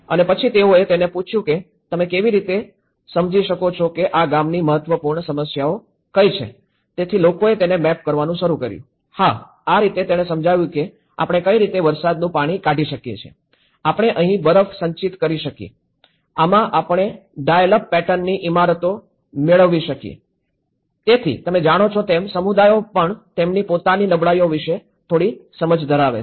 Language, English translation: Gujarati, And then they asked him to how do you understand where are the important problems in this village so, people started mapping it yes, this is how we get lot of water drains out in this rainy season, we get the snow accumulated here, we get there is a dial up pattern buildings in this, so you know, that way communities also do possess some understanding of their own vulnerabilities